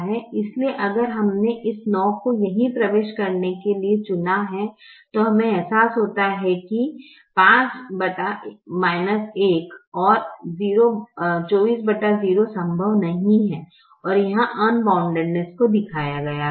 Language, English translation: Hindi, so if we had chosen to enter this nine right here we realize that five divided by minus one and twenty four divided by zero are not possible and unboundedness is shown here